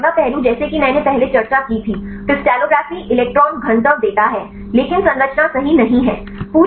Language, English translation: Hindi, So, now the next aspect is as I discussed earlier, the crystallography gives electron density, but not the structure right